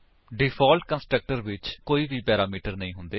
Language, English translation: Punjabi, Default constructor has no parameters